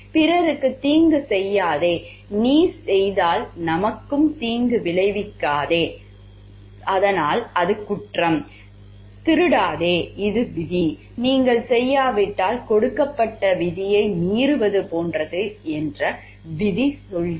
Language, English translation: Tamil, Rule tells like do not harm others and we if you are doing, so then it is an offence, do not steal this is the rule and if you are not doing so, then you are like violating the rule that is given